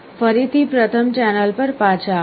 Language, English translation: Gujarati, Again come back to the first